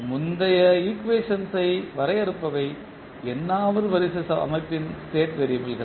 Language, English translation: Tamil, Which define the previous equation are the state variables of the nth order system